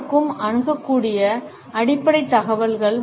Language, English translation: Tamil, The basic information that is accessible to anyone